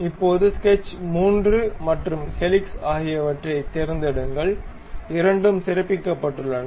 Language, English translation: Tamil, Now, pick sketch 3 and also helix, both are highlighted